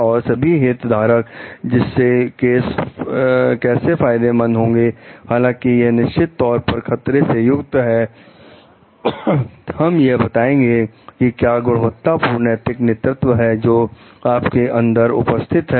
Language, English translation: Hindi, And the how the like all the stakeholders get benefited from it, though like they are definitely risk involved, we will tell what is the quality of moral leadership, which is their present within you